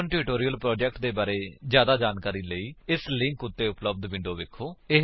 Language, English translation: Punjabi, To know more about the Spoken Tutorial project, watch the video available at the following link